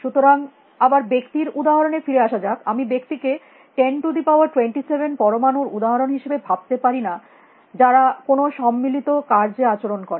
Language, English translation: Bengali, So, coming back to the example of a person, I do not think of a person as an example of 10 raise to 27 atoms behaving in some concerted action